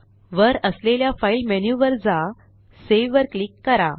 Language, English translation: Marathi, Go to File menu at the top, click on Save